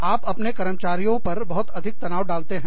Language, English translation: Hindi, You put, too much stress, on your employees